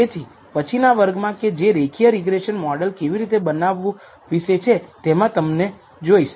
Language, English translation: Gujarati, So, see you next class about how to build the linear regression model